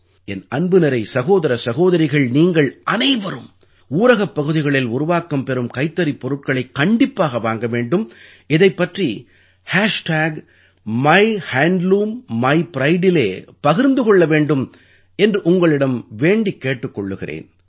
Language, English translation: Tamil, I urge you my dear brothers and sisters, to make it a point to definitely buy Handloom products being made in rural areas and share it on MyHandloomMyPride